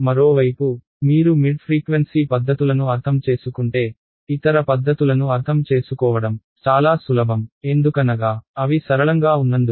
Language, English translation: Telugu, On the other hand, if you understand mid frequency methods, it is much easier for you to understand the other methods because they are simpler version right